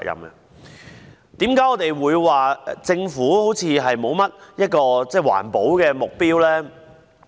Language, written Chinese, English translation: Cantonese, 為何我們會說政府似乎沒有訂立環保目標呢？, Why do we say that the Government does not seem to have set any environmental protection objectives?